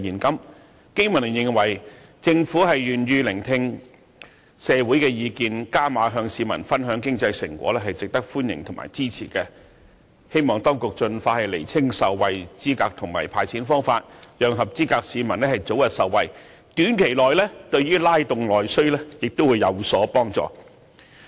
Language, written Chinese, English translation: Cantonese, 經民聯認為，政府願意聆聽社會的意見，"加碼"與市民分享經濟成果，是值得歡迎和支持，希望當局盡快釐清受惠資格和"派錢"方法，讓合資格市民早日受惠，短期內對於拉動內需亦有所幫助。, The BPA welcomes and supports the Governments willingness to listen to the opinions of the community and share the economic prosperity with the public hoping that the Administration will determine the eligibility and the way to hand out cash as soon as possible so that qualified citizens may benefit early . This may also help stimulate internal demand in the near term